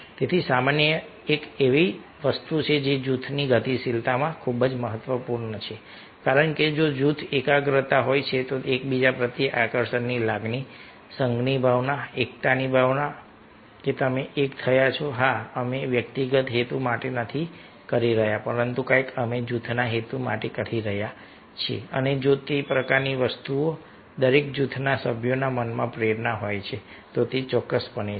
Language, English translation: Gujarati, this is very, very ah important in group dynamics because if there is a cohesiveness in the group, feeling of attraction for each other, sense of union, sense of unity, that you are united, yes, we are not doing for individual cause, but something we are doing for the cause of the group and if that kind of thing motivation is there ah in the mind of each and every group member, then definitely it is going to help